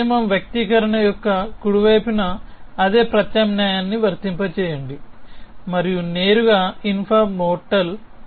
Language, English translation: Telugu, This rule says apply the same substitution to the right hand side of the expression and directly infra mortal